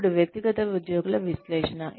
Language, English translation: Telugu, Then, analysis of individual employees